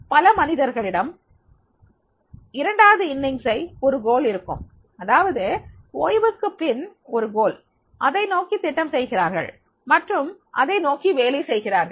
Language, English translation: Tamil, But many people, they have the second inning that is the goal after retirement and they are working for that and they plan for that